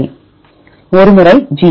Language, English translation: Tamil, 1 time G